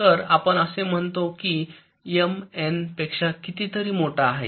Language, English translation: Marathi, so, as i said, m is much greater as compared to n